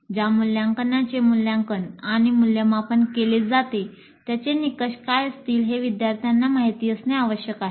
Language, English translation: Marathi, Students must know what would be the criteria on which they are going to be assessed and evaluated